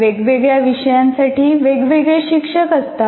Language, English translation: Marathi, And then you have different teachers for different courses